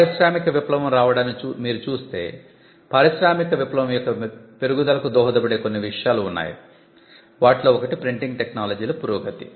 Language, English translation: Telugu, If you just see the advent of industrial revolution, there are certain things that contributed to the growth of industrial revolution itself; one of the things include the advancement in printing technology